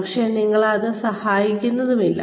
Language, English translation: Malayalam, But, it is not also helping you